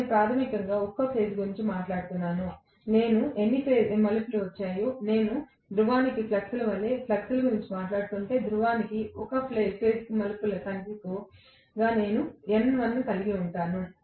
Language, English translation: Telugu, Per phase how many ever turns I have got, if I am talking about flux as flux per pole then I will also have N1 as the number of turns per phase per pole